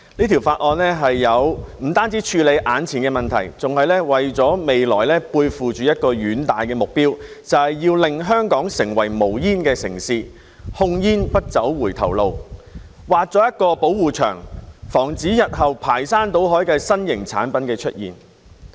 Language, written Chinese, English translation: Cantonese, 《條例草案》不單處理眼前的問題，更為了未來背負着一個遠大的目標，就是要令香港成為無煙城市，控煙不走回頭路，畫出一道保護牆，防止日後新型產品排山倒海地出現。, The Bill not only deals with the immediate problem but also carries a far - reaching goal for the future that is to make Hong Kong a smoke - free city . Tobacco control should not go backwards . A protective wall will be drawn to prevent overwhelming emergence of new products in the future